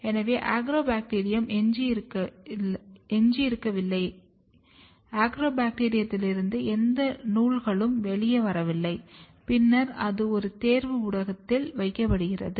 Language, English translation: Tamil, So, that there are no Agrobacterium left, there are no threads coming out of the Agrobacterium and then it is placed on a selection media